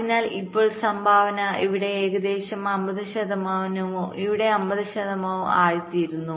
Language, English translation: Malayalam, so now the contribution becomes roughly fifty, fifty, fifty percent here and fifty percent there